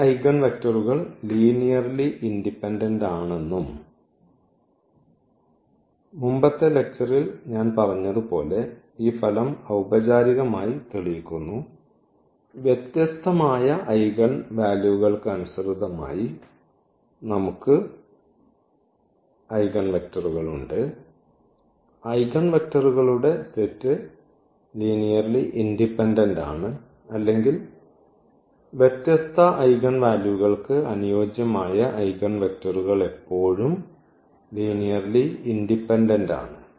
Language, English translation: Malayalam, Again we can note that these eigen vectors are linearly independent and as I said in the previous lecture that we will also proof formally this result that corresponding to distinct eigenvalues we have the eigenvectors, the set is linearly dependent the set of eigenvectors is linearly independent or the eigenvectors corresponding to distinct eigenvalues are always linearly independent